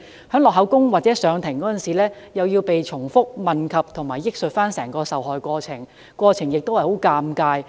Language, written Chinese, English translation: Cantonese, 在錄取口供或上庭時，又要被重複問及和憶述整個受害過程，過程亦非常尷尬。, During statement taking or court proceedings they would also be repeatedly asked to recount the details of the incident which would be greatly embarrassing to them